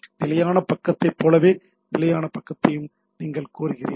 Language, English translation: Tamil, Like static page, you request and get the static page there